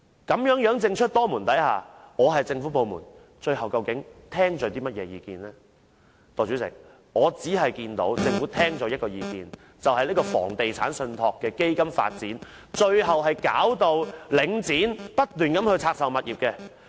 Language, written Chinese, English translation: Cantonese, 究竟政府部門最終會聽取那一方的意見呢？代理主席，我所看到的，是政府聽取了有關發展房地產信託基金的建議，最後導致領展不斷拆售物業。, In the end which party Government departments would listen to Deputy Chairman what I can see is the Government has taken on board the proposal to develop REITs paving the way for Link REITs unceasingly divestment of its properties